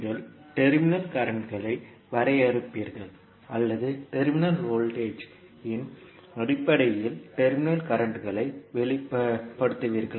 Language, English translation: Tamil, You will define the terminal currents or you will express the terminal currents in terms of terminal voltage